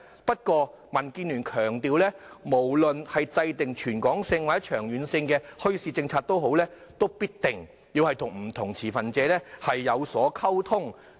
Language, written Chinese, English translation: Cantonese, 不過，民建聯強調，無論制訂全港或長遠的墟市政策，也必定要與不同持份者溝通。, DAB highlights the need to communicate with different stakeholders when formulating a territory - wide or long - term bazaar policy